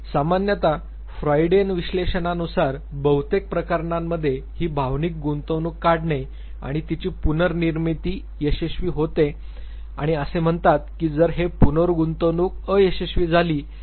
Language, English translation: Marathi, Usually recording to Freudian analysis, usually this withdrawal and reinvestment is successful in most of the cases and he says that in case this reinvestment fails